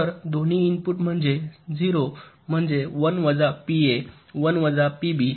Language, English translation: Marathi, so what is both the input are zero means one minus p a, one minus p b